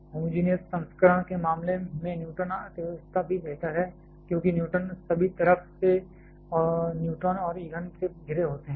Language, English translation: Hindi, Neutron economy is also superior in case of homogenous version because the neutron are surrounded by neutrons and fuels on all the sides